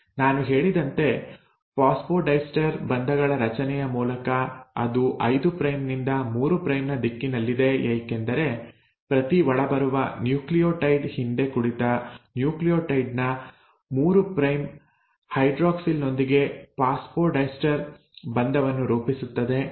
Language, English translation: Kannada, And how do you decide the directionality as I just mentioned through the formation of phosphodiester bonds that it is in the direction of 5 prime to 3 prime because every incoming nucleotide will form a phosphodiester bond with the 3 prime hydroxyl of the previously sitting nucleotide